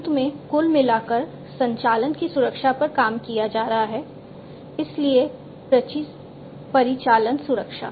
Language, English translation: Hindi, And finally, overall the operations that are being carried on security of the operation, so operational security